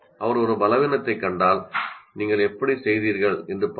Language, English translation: Tamil, If she spots weakness, she says, look at how you have done